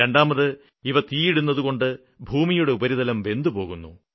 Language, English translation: Malayalam, Secondly because of burning this the top soil gets burnt